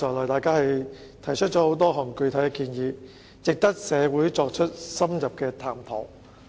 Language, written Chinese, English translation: Cantonese, 大家剛才提出了不少具體建議，值得社會深入探討。, Quite a number of specific proposals put forward by Members just now warrant in - depth studies too